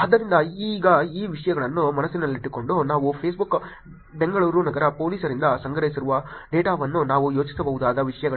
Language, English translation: Kannada, So, now just keeping these things in mind the data that we have collected from the Facebook Bangalore City police what are the things that we can think about